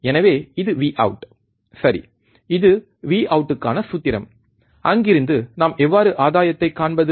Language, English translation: Tamil, So, this is V out, right this is formula for V out, from there how can we find the gain